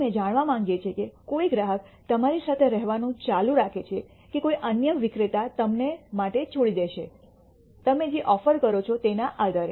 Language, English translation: Gujarati, We want to know whether a customer will continue to remain with you or will leave you for another vendor, based on whatever offers that you are making